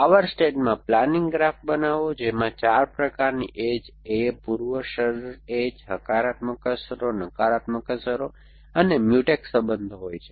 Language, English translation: Gujarati, In the power stage construct a planning graph which contains is 4 kinds of edges A, the precondition edges, the positive effects negative effects and Mutex relations